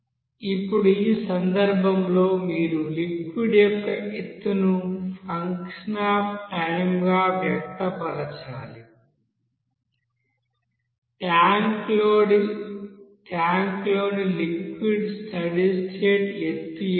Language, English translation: Telugu, Now in this case, you have to express height of the liquid as a function of time, what is the steady state height of the liquid in the tank; a and b are constants here